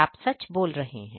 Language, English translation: Hindi, You are right